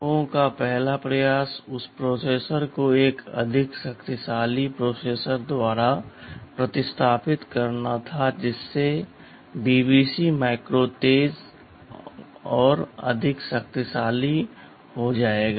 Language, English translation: Hindi, TSo, the first attempt of these people were was to replace that processor by a better processor more powerful processor, which will make the BBC micro faster and more powerful ok